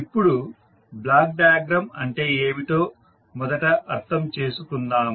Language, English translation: Telugu, So now let us first understand what is block diagram